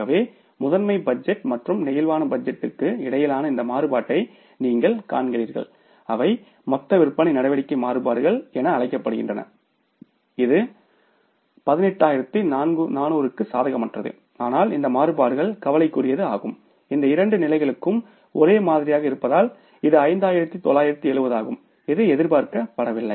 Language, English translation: Tamil, So, you see these variances which are between the master budget and the flexible budget they are called as the total sales activity variance which is to the tune of 18,400 unfavorable but this variance is a serious cause of concern that is 5 970 which was not expected to be there because these two levels are same, 7,000 budget, 7,000 actual performance